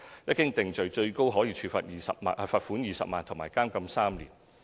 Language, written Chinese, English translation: Cantonese, 一經定罪，最高可處罰款20萬元及監禁3年。, On conviction such person shall be liable to a fine of up to 200,000 and imprisonment for three years